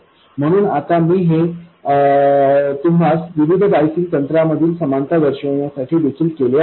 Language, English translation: Marathi, So now I did this also to show you the similarities between different biasing techniques